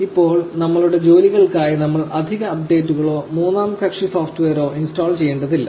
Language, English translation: Malayalam, Now, you do not really need to install additional updates or third party software for our tasks